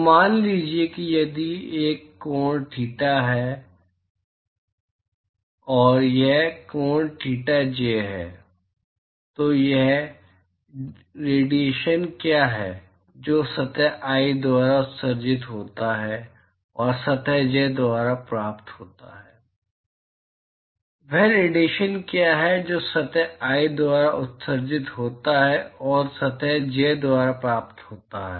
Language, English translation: Hindi, So, supposing if this angle is theta i and this angle is theta j what is the radiation that is emitted by surface i and received by surface j, what is the radiation that is emitted by surface i and received by surface j